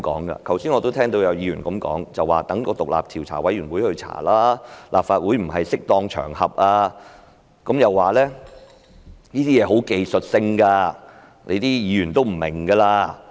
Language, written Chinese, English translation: Cantonese, 我剛才聽到有議員一直說應交由獨立調查委員會調查，立法會不是適當場合，又說這些事情十分技術性，議員不會明白。, Earlier on I heard some Members keep suggesting that the Commission should be tasked to conduct an investigation that the Legislative Council is not an appropriate avenue for it and that these are very technical matters that Members may not comprehend